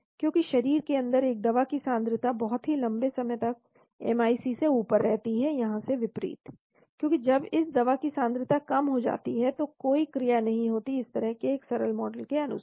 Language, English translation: Hindi, Because a drug concentration inside the body remains at above MIC for a very, very long time as against here, because after this drug concentration has come down, so there is no action assuming a simple model like this